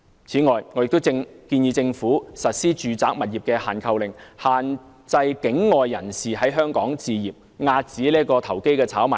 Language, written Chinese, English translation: Cantonese, 此外，我亦建議政府實施住宅物業"限購令"，限制境外人士在本港置業，遏止投機炒賣。, Moreover I also suggest the imposition of restrictions by the Government on the purchase of residential properties in Hong Kong by non - local individuals so as to curb property speculation